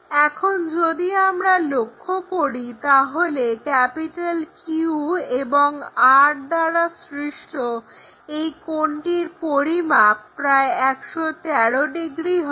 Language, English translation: Bengali, Now, if we are seeing this, this angle the angle made by Q and R will be around 113 degrees